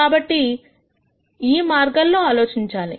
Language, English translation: Telugu, So, you want to think about it this way